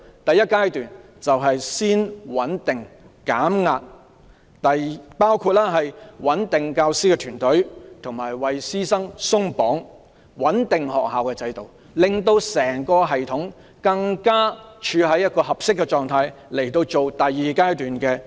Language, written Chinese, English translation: Cantonese, 第一階段是先穩定及減壓，包括穩定教師團隊，為師生"鬆綁"，以及穩定學校制度，令整個系統處於更合適的狀態，以進行第二階段的策略實施。, The first phase is to stabilize and de - stress . This includes stabilizing the teaching force helping teachers and students to alleviate their stress and stabilizing the school systems . This will put the entire system in a better shape for the second phase of the strategic policy